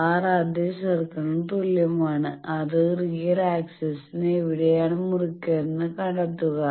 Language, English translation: Malayalam, R bar is equal to that same circle and find out where it is cutting the real axis